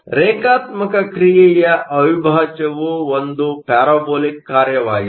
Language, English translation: Kannada, So, the integral of a linear function is a parabolic function